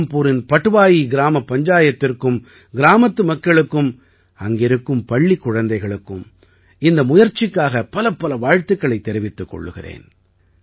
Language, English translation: Tamil, I congratulate the Patwai Gram Panchayat of Rampur, the people of the village, the children there for this effort